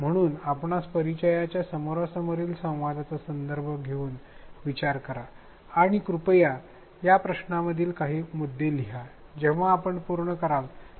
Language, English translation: Marathi, So, think of a more familiar face to face context and please write down some of the points to these questions when you are done you can resume